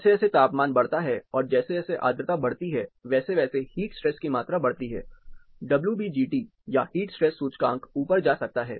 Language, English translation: Hindi, As the temperature increases, and as the humidity also goes up, the amount of heat stress increases, the WBGT or heat stress index might go up